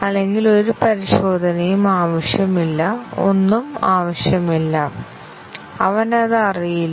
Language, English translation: Malayalam, Otherwise, no testing, nothing will be necessary; he does not know that